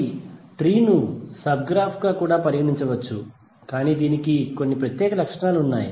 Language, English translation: Telugu, So tree can also be consider as a sub graph, but it has some special properties